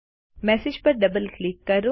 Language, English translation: Gujarati, Lets double click on the message